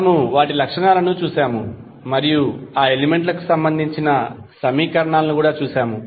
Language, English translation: Telugu, We saw their properties and we also saw the governing equations for those elements